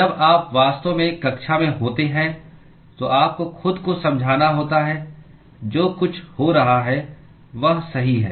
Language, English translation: Hindi, You have to convince yourself when you are actually in the class everything that is happening is right